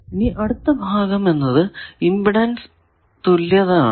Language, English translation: Malayalam, Then the next part is impedance equivalence